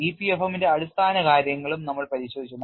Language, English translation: Malayalam, We have also looked at rudiments of EPFM